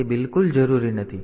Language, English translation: Gujarati, So, that is not required at all